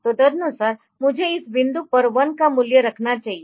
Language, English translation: Hindi, So, accordingly I should value put a value of 1 at the this point